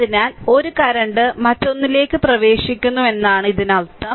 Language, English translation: Malayalam, So; that means, one current is entering other are leaving